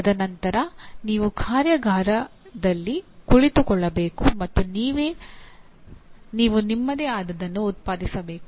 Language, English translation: Kannada, And then you have to sit in the workshop and you have to produce your own